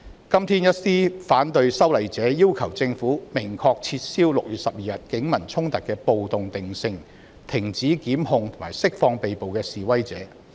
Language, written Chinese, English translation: Cantonese, 今天，一些反對修例者要求政府明確撤銷6月12日警民衝突的"暴動"定性，以及停止檢控並釋放被捕示威者。, Today some opponents of the legislative amendment demand the Government to expressly retract the categorization of the clash between the Police and members of the public on 12 June as a riot stop initiating prosecution against the protesters and release the persons arrested